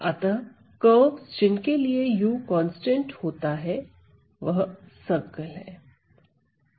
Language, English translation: Hindi, So, the curves for which u is a constant a is a circle